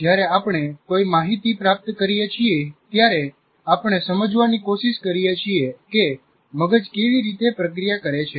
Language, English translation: Gujarati, We will presently see that is when we receive any information, we try to understand how the brain is likely to process